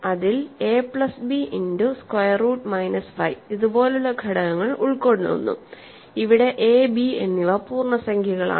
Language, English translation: Malayalam, So, it consists of elements like this a plus b times square root minus 5, where a and b are integers